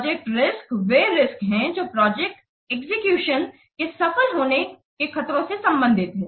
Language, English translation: Hindi, Project risks are the risks which are related to threads to successful project execution